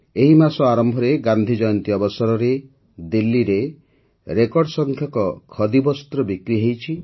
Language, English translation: Odia, At the beginning of this month, on the occasion of Gandhi Jayanti, Khadi witnessed record sales in Delhi